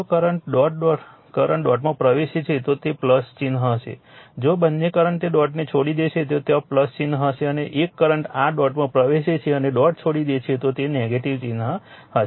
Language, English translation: Gujarati, If both current enters the dot it will be plus sign if both current will leave that dot there also it will be plus sign if one current entering the your dot and leaving the dot they it will be negative sign right